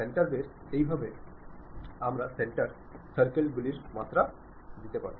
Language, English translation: Bengali, This is the way we can give dimensioning using center base circles